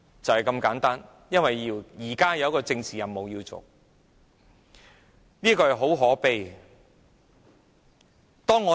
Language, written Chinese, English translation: Cantonese, 一切都是因為有一個政治任務要完成，這是很可悲的。, All these actions are taken because there is a political mission to be accomplished . This is very sad indeed